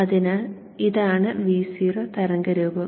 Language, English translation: Malayalam, So this is the V0 waveform